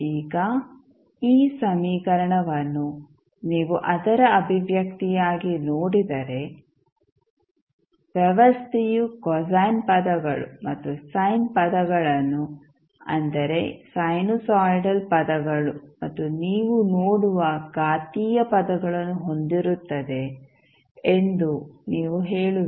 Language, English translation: Kannada, Now, if you see this equation the expression for it you will say that the system will have cosine terms and sine terms that is sinusoidal terms you will see plus exponential terms